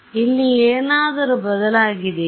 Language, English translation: Kannada, Anything changed here